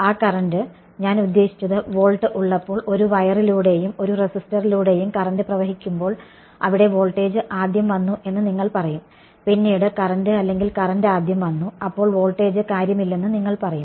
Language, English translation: Malayalam, That current I mean when there is volt when there is current flowing through a wire and a resistor there would do you say that the voltage came first and then the current or current came first and then the voltage does not matter right